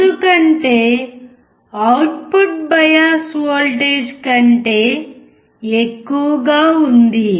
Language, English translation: Telugu, This is because the output is more than the bias voltage